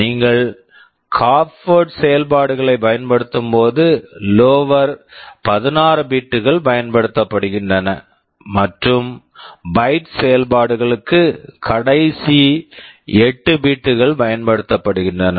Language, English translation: Tamil, When you are using half word operations, the lower 16 bits is used, and for byte operations the last 8 bits are used